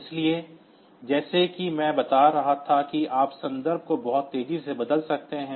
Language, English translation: Hindi, So, as I was telling that you can switch the context very fast